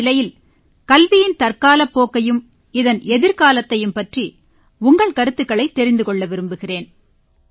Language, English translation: Tamil, So I would like to know your views concerning the current direction of education and its future course